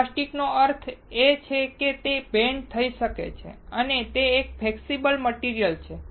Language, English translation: Gujarati, Now, plastic means it can bend and it is a flexible material